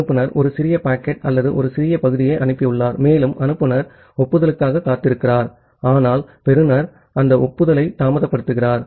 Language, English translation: Tamil, The sender has sent one small packet or a small segment and the sender is waiting for the acknowledgement, but the receiver is delaying that acknowledgement